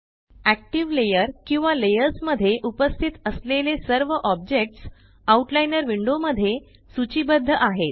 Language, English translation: Marathi, All objects present in the active layer or layers are listed in the Outliner window